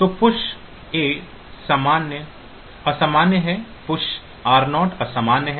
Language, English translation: Hindi, So, push a is invalid push r 0 is invalid, push r 1 is invalid